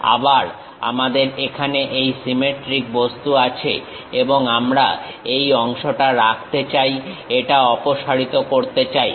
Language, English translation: Bengali, Again we have this symmetric object here and we would like to retain this part, remove this part